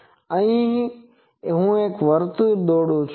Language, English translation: Gujarati, So, this is a circle